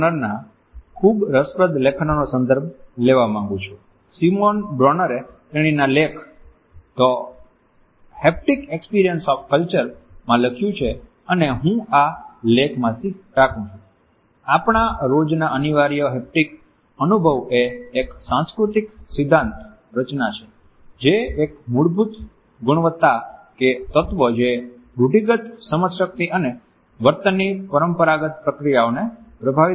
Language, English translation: Gujarati, Bronner, Simon Bronner has written her article with the title of The Haptic Experience of Culture and I quote from this article “The essential haptic experience in our daily encounters constitutes a cultural principle a basic quality or element influencing the customary processes of cognition and behavior”